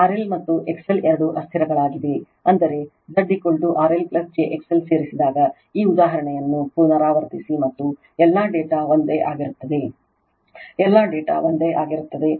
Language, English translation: Kannada, R L and X L are both variables I mean you repeat this example when Z is equal to your R L plus j x l added, and all data remains same, all data remains same right